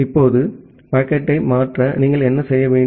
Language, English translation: Tamil, Now, to transfer the packet, what you have to do